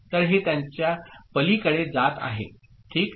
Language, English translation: Marathi, So, this is going beyond that – ok